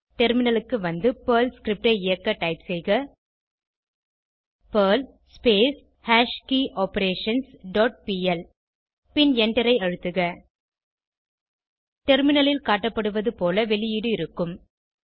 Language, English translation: Tamil, Now, let us execute the script on the terminal by typing perl perlHash dot pl And Press Enter The following output will be seen on the terminal